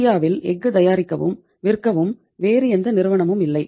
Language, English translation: Tamil, There are no other company can manufacture and sell steel in India